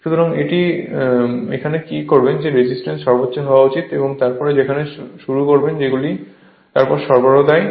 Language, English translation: Bengali, So, at the time of start what you do that this resistance should be at maximum and then you start there what you call that you are then you give the supply